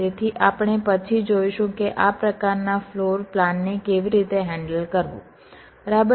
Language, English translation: Gujarati, so we shall see later that how to handle this kind of floorplan, right